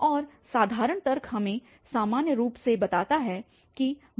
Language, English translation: Hindi, And the simple logic can give us in general that ek will be less than Ik by 2